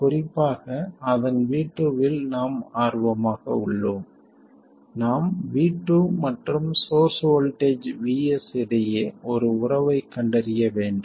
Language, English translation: Tamil, We have to find a relationship between V2 and the source voltage VS